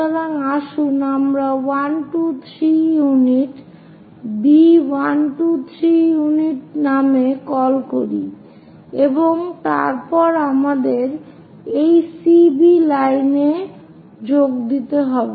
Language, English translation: Bengali, So 1, 2, 3 units so here 3 units on that, let us call that by name B 1, 2, 3 units and then join CB, we have to join this CB line